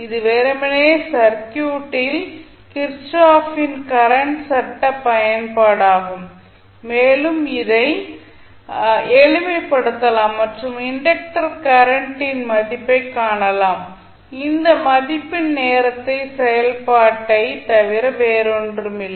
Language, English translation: Tamil, So, this would be simply the kirchhoff’s current law application in the circuit and you can simplify and you can find the value of il which would be nothing but function of time t